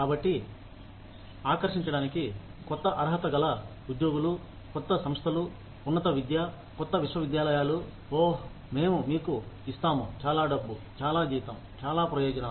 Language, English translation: Telugu, So, in order to attract, newer, qualified employees, new institutes of higher education, new universities, will say, oh, we will give you, so much money, so much salary, so many benefits